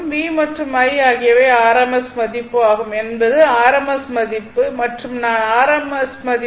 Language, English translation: Tamil, V is the rms value, and I is the rms value